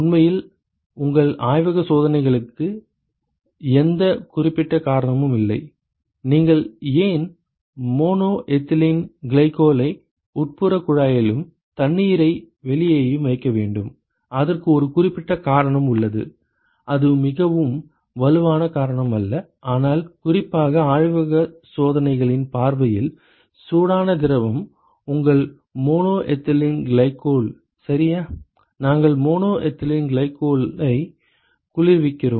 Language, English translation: Tamil, So, you cannot; so there is no specific reason … in fact, there is there is no specific reason for your lab experiments as to, why you should put mono ethylene glycol in the in the inside tube and water on the outside; and there is one specific reason the reason is that which is not a very strong reason to do that, but particularly from the lab experiments point of view, yeah the hot fluid is your mono ethylene glycol right, we are cooling the mono ethylene glycol